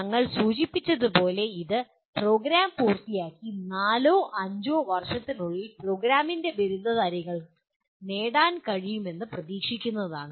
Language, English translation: Malayalam, As we mentioned, what the graduates of the program are expected to achieve within four to five years of completing the program